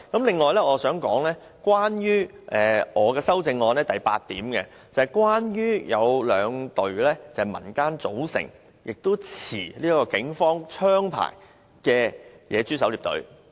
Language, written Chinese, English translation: Cantonese, 另外，我想談談我的修正案第八點，關於兩支由民間組成並持警方槍牌的野豬狩獵隊。, Next I wish to talk about point 8 of my amendment regarding two wild pig hunting teams comprising civilian volunteers with arms licences issued by the Police